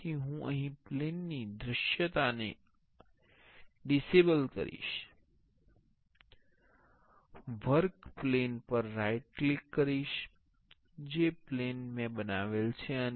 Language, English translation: Gujarati, So, I will disable the visibility of the plane here right click on the work plane, the plane I have created